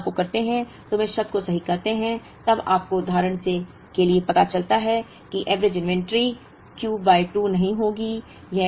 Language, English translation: Hindi, We correct this term when we do this calculation, then you realise for example, that the average inventory would not be Q by 2